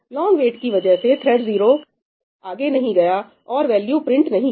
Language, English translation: Hindi, Because of this long wait, right, because thread 0 has not gone ahead and printed the value